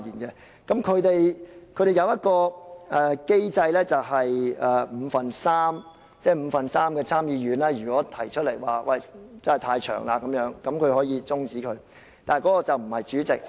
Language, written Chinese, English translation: Cantonese, 他們並設有一個機制，只要五分之三的參議員認為時間過長，便可以中止，但決定的並不是主席。, A mechanism is in place where a debate may be stopped if three fifths of the Senate consider it too long yet this is not decided by the President